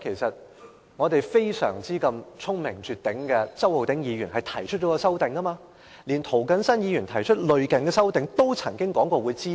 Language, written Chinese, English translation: Cantonese, 實際上，聰明絕頂的周浩鼎議員提出了一項修正案，並曾表示會支持涂謹申議員提出的類似修正案。, In fact Mr Holden CHOW who is extremely clever has proposed an amendment . He has also expressed support of a similar amendment proposed by Mr James TO